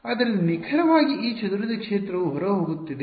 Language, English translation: Kannada, So, exactly this scattered field is outgoing right